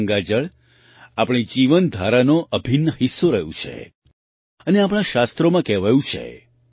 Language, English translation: Gujarati, Ganga water has been an integral part of our way of life and it is also said in our scriptures